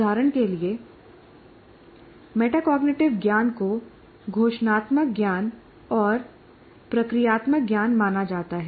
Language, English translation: Hindi, For example, the metacognitive knowledge is considered to be declarative knowledge and procedural knowledge